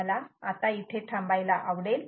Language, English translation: Marathi, i would like to stop here